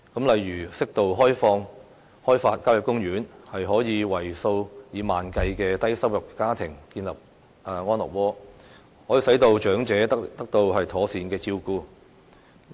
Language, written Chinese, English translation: Cantonese, 例如，適度開發郊野公園可以為數以萬計的低收入家庭建立安樂窩，可以使長者得到妥善的照顧。, For example developing country parks on an appropriate scale can offer homes to tens of thousands of low - income families while also enabling elderly people to receive proper care